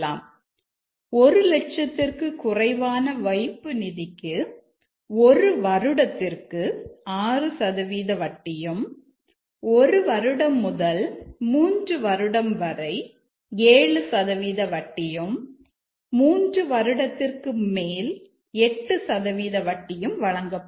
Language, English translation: Tamil, Again, we'll take the case of depositing less than 1,000 rate of interest is 6% for 1 year, 7% for deposit 1 year to 3 year and 8% for 3 year and above